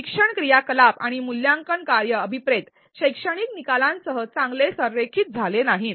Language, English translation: Marathi, The learning activities and the assessment task did not align well with the intended learning outcomes